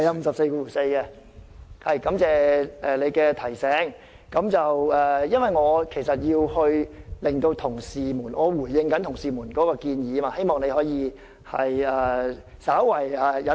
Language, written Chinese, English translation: Cantonese, 主席，感謝你的提醒，但因為我要回應同事們的建議，希望你可以對我稍為忍耐。, President thanks for the reminder yet I have to respond to the suggestions made by colleagues . I hope you can be a bit indulgent of me